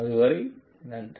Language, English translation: Tamil, Till then thank you